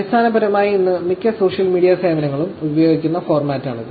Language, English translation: Malayalam, It is basically the format that most social media services use today